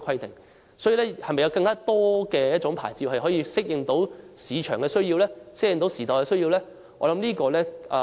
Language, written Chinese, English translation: Cantonese, 政府究竟會否提供有更多類型的牌照，以適應市場和時代的需要呢？, Will the Government provide a greater variety of licences to cater to the needs of the market and times?